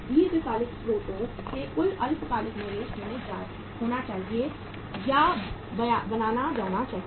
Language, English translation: Hindi, Total short term investment has to be created or to be made from the long term sources